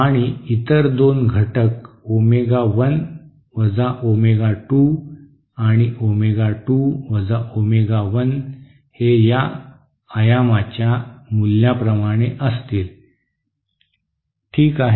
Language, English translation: Marathi, And 2 other components at omega 1 omega 2 and omega 2 omega one with amplitude given by these values, okay